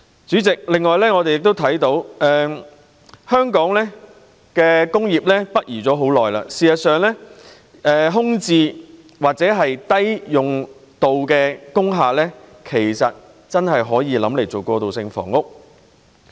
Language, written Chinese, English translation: Cantonese, 主席，我們亦看到香港的工業北移已有一段長時間，真的可以考慮使用空置或低用量工廈來興建過渡性房屋。, President we also see that it has been a long time since our industries moved northwards . It is indeed possible to consider using vacant or under - utilized industrial buildings to provide transitional housing